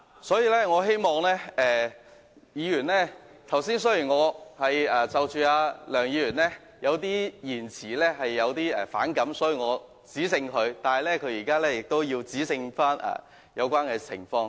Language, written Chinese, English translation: Cantonese, 所以，我希望議員......較早前由於我對梁議員的某些言詞反感，所以我指正他，而他剛才則指正有關情況。, Therefore I hope that Members Earlier on I expressed resentment against Mr LEUNGs remarks and corrected him . Likewise just now he has corrected an irregularity